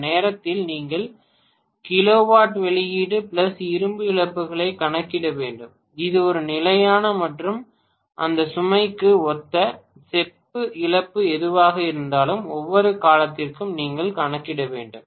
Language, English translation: Tamil, During that time itself you have to calculate kilowatt output plus iron losses which will be a constant plus whatever is the copper loss corresponding to that load, that also you have to calculate for every duration